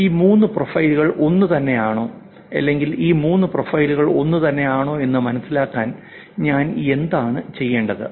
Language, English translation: Malayalam, What do I need to do to make sure that these three profiles are same or to understand that whether these three profiles are same